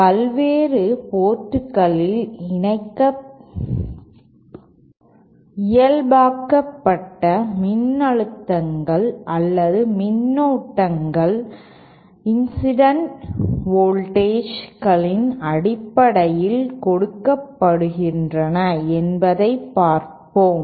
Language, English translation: Tamil, Now we also know that the normalized voltages or currents at the various ports are given in terms of the incident voltages as follows